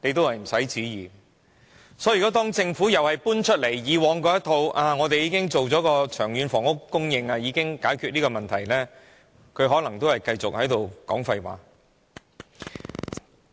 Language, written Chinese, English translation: Cantonese, 因此，如果政府仍然搬出以往那一套，說他們已經作出長遠房屋供應計劃，已經解決這個問題，他們可能仍是繼續說廢話。, Hence if the Government maintains that it has made a long - term housing production plan and has solved the problem it may still be talking nonsense